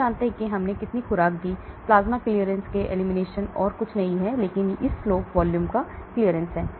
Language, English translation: Hindi, We know how much dose we gave; plasma clearance K elimination is nothing but the slope of this line into volume that is plasma clearance